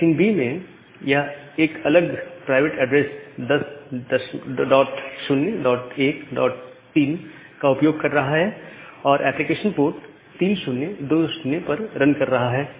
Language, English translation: Hindi, In machine B, it is using a different private address 10 dot 0 dot 1 dot 3 and the application is running at port 3020